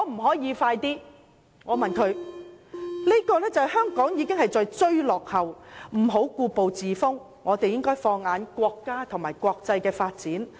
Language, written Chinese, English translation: Cantonese, "在這方面，香港要追落後，別再故步自封，並應放眼國家和國際間的發展。, In this respect Hong Kong should catch up stop standing still and look to national and international development